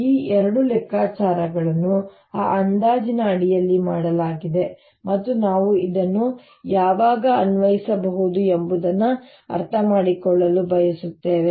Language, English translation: Kannada, these two calculations have been done under that approximation and we want to understand when we can apply this